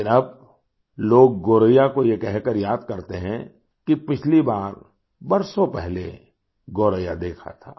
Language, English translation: Hindi, But now people recollectGoraiya by telling you that last they had seen Goraiyawas many years ago